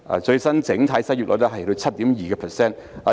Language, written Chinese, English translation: Cantonese, 最新整體失業率達到 7.2%。, The latest overall unemployment rate has reached 7.2 %